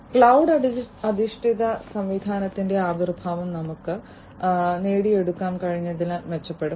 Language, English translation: Malayalam, And the emergence of cloud based system will also improve upon what we have been able to achieve